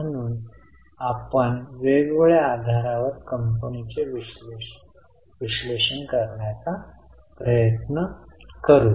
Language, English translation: Marathi, So, we will try to analyze the company on different basis